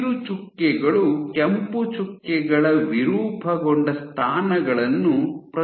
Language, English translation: Kannada, So, the green dots represent deformed positions of the red dots